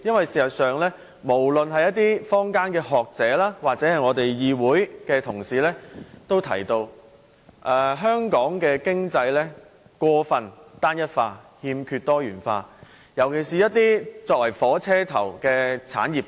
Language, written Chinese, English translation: Cantonese, 事實上，無論是坊間的學者或議會內的同事，均認為香港的經濟過分單一化，欠缺多元，尤其缺乏一些作為"火車頭"的產業。, As a matter of fact both academics in the community and Members of this Council agree that the economy of Hong Kong is overly homogeneous lacking diversified development especially locomotive industries